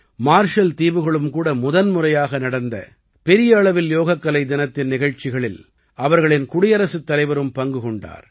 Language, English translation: Tamil, The President of Marshall Islands also participated in the Yoga Day program organized there on a large scale for the first time